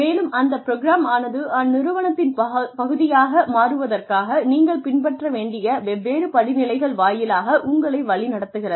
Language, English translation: Tamil, And, the program guides you through the different steps, that you will need to follow, in order to become, a part of that organization